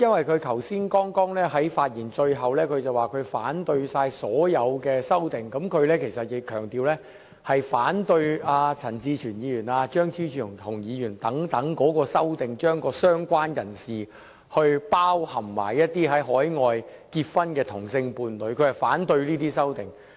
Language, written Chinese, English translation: Cantonese, 他剛才在發言最後部分表示反對所有修正案，但他強調他是反對陳志全議員、張超雄議員等人的修正案，即在"相關人士"定義中涵蓋海外結婚的同性伴侶的修正案。, He would like to stress that he opposes the amendments proposed by Mr CHAN Chi - chuen and Dr Fernando CHEUNG and so on which propose including in the definition of related person the same - sex partner of the deceased in a marriage celebrated overseas